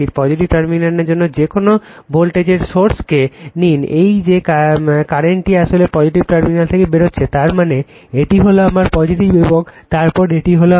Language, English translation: Bengali, For positive terminal that your what you call any take any voltage source that current actually living the positive terminal right that means, this is my plus, and then this is my minus